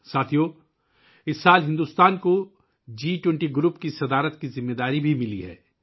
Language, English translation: Urdu, Friends, this year India has also got the responsibility of chairing the G20 group